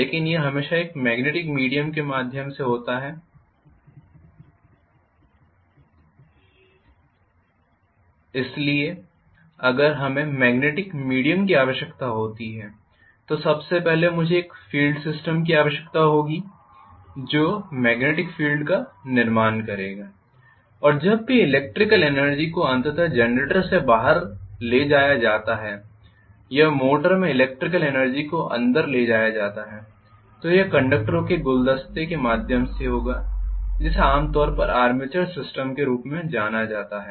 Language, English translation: Hindi, So if we require magnetic via media first of all I will need a field system which will create the magnetic field and whenever electrical energy is ultimately given out in generator or electrical energy is taken in a motor this will be through bouquet of conductors which is generally known as the armatures system